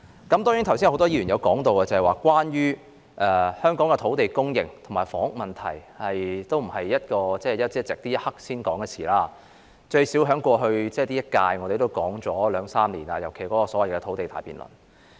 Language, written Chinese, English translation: Cantonese, 很多議員剛才提到，香港的土地供應及房屋問題並非一朝一夕，亦非現在才作討論，我們在本屆任期也至少討論了兩三年，尤其是在所謂的土地大辯論。, As many Members have mentioned the problems of land supply and housing did not emerge in Hong Kong overnight; neither were they left undiscussed till today . During this term of office we have discussed them for at least two or three years especially during the so - called grand debate on land supply